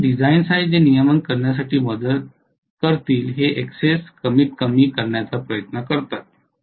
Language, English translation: Marathi, So there are designs which try to minimize this Xs to help regulation